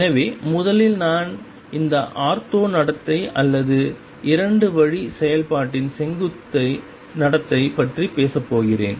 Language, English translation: Tamil, So, this first I am going to talk about of the ortho behavior or the perpendicular behavior of the 2 way function